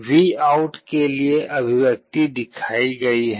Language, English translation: Hindi, The expression for VOUT is shown